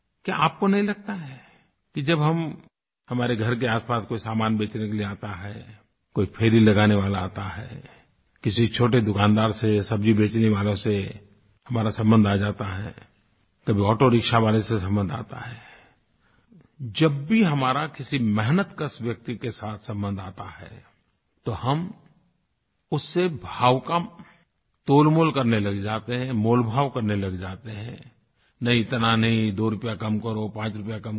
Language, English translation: Hindi, Don't you feel that whenever a vendor comes to your door to sell something, on his rounds, when we come into contact with small shopkeepers, vegetable sellers, auto rickshaw drivers in fact any person who earns through sheer hard work we start bargaining with him, haggling with him "No not so much, make it two rupees less, five rupees less